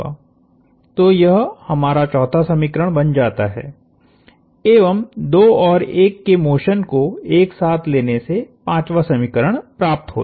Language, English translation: Hindi, So, this becomes our 4th equation, a 5th equation comes from relating the motion of 2 and 1 put together